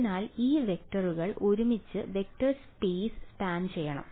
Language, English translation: Malayalam, So, these vectors put together should span the vector space ok